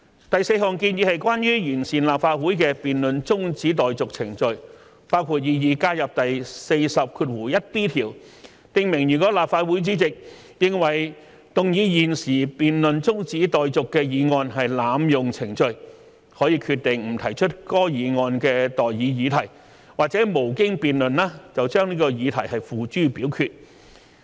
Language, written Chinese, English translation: Cantonese, 第四項建議是關於完善立法會的辯論中止待續程序，包括擬議加入第40條，訂明如立法會主席認為動議現即將辯論中止待續的議案是濫用程序，可決定不提出該議案的待議議題或無經辯論而把議題付諸表決。, The fourth proposal is about fine - tuning the procedure for the adjournment of debate in the Council . It includes adding Rule 401B which provides that where the President is of the opinion that the moving of the motion that the debate be now adjourned is an abuse of procedure he may decide not to propose the question on the motion or to put the question forthwith without debate